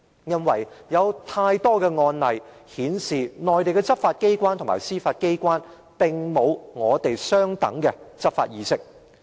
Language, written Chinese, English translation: Cantonese, 因為有太多案例顯示，內地執法機關和司法機關並無與我們相等的執法意識。, Because too many cases have shown that the Mainland law enforcement agencies and judiciary do not have the same kind of awareness of law enforcement as we do